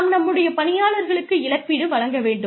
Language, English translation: Tamil, We need to compensate our employees